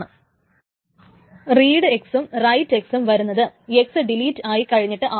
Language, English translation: Malayalam, Then the read x and write x may be happening after the delete of x